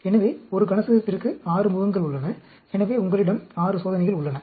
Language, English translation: Tamil, So, you have 6 faces for a cube; so, you have 6 experiments